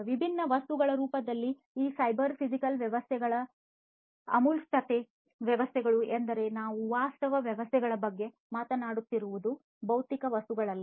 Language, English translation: Kannada, The abstractions of these cyber physical systems in the form of different objects; objects means we are talking about virtual objects not the physical objects